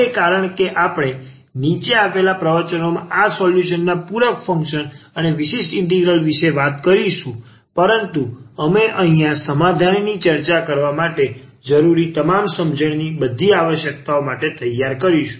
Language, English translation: Gujarati, So, now because we will be talking about these solutions the complimentary function and particular integrals in the following lectures, but to here we will prepare for all the all the requirement all the knowledge we need to discuss the solution here